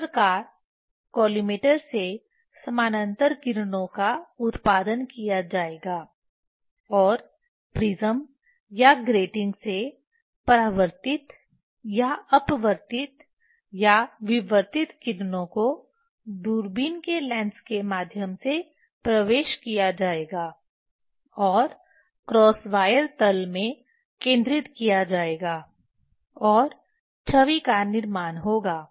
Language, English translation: Hindi, Thus the parallel rays from the collimator will be produced and the parallel reflected or refracted or diffracted rays from the prism or grating will enter through the lens of the telescope and focused in the cross wire plane and form the image